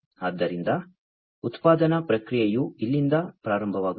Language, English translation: Kannada, So, the production process starts from here